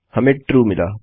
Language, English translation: Hindi, We got True